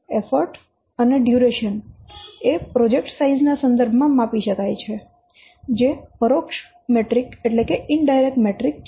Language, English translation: Gujarati, The effort and duration they can be measured in terms of the project size which is an indirect metric